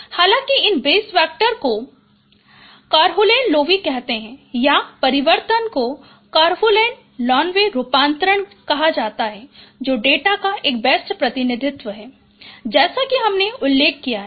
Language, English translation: Hindi, However and these basis vectors they are called car carnal loebases or the transform is called carunin low F transforms which is an optimal representation of data as I mentioned